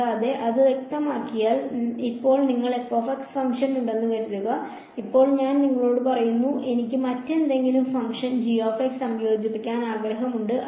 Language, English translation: Malayalam, And, once that is specified; now supposing you had this function f of x, now supposing I tell you now I want to integrate some other function g of x